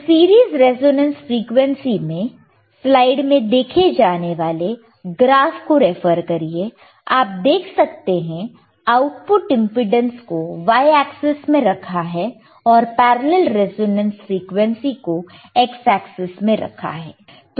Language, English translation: Hindi, So, in series resonance frequency, , you can see output impedance hereon y axis and you can see parallel resonance frequency on x axis